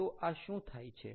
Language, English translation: Gujarati, so what is this going to be